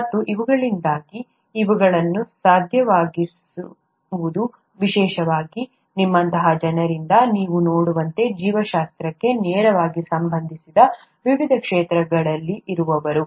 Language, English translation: Kannada, And it is because of these, to make these possible, especially, by people like you who would be in several different fields that may not be directly related to biology as you see it